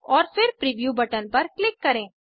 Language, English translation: Hindi, Lets close the preview window